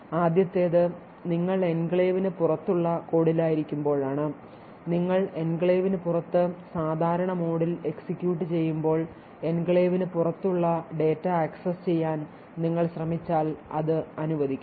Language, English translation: Malayalam, So this leaves us four different alternatives so let us say the first is when you are in the code outside the enclave that is you are executing in normal mode outside the enclave and you are trying to access the data present outside the enclave, so this should be permitted